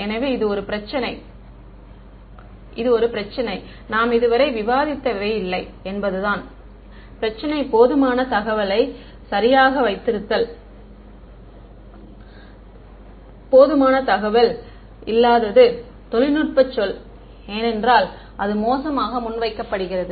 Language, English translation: Tamil, So, this was one problem; I mean, what we have discussed so far was the problem of not having enough information right, not having enough information is what is a technical word for it is ill posed